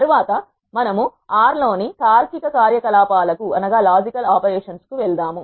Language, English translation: Telugu, Next we move on to the logical operations in R